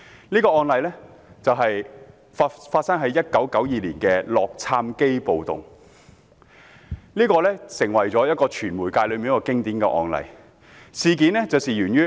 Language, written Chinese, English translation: Cantonese, 這宗案例發生在1992年的洛杉磯暴動，成為傳媒界的經典案例。, The case which took place during the 1992 Los Angeles riots later became a classic case in the media industry